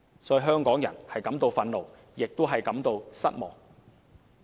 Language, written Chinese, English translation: Cantonese, 所以，香港人感到憤怒，亦感到失望。, For this reason Hong Kong people are not only angry but also disappointed